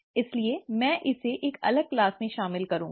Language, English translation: Hindi, So I’ll cover that in a separate class